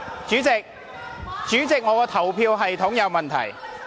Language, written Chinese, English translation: Cantonese, 主席，表決系統有問題。, President there is something wrong with the voting system